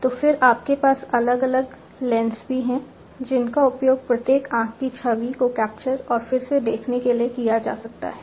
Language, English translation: Hindi, So, then you also have different lenses, which could be used to capture and reshape the image of each eye